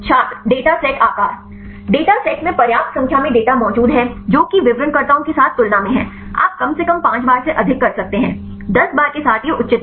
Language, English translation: Hindi, data set size Data set there exist sufficient number of data compared with the descriptors; you can at least more than 5 times; with 10 times it is advisable